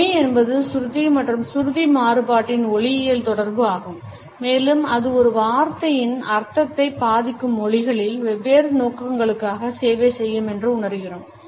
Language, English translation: Tamil, Tone is the phonological correlate of pitch and pitch variation and can serve different purposes across languages affecting the meaning of a word and communicating it clearly to the audience